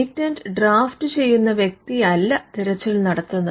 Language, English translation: Malayalam, It is not the person who drafts the patent who does the search